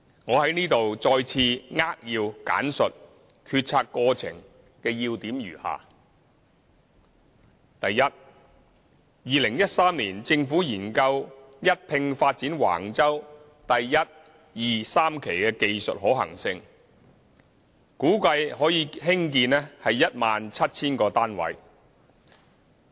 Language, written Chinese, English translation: Cantonese, 我在此再次扼要簡述決策過程的要點如下：第一 ，2013 年，政府研究一併發展橫洲第1、2、3期的技術可行性，估計可興建 17,000 個單位。, I briefly outline the main points of the deliberation process as follows First in 2013 the Government considered the technical feasibility of proceeding concurrently Phases 1 2 and 3 of the Wang Chau project and it was estimated that 17 000 units could be provided